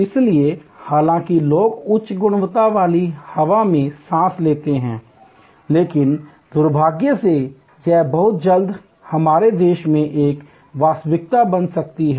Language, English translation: Hindi, So, people though in their to breath for at while good high quality air, unfortunately this may become a reality in our country very soon